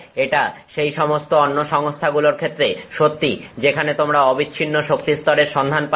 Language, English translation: Bengali, It is also true of any other system where you will have a continuous set of energy levels